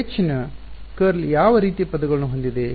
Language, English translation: Kannada, What kind of terms does curl of H have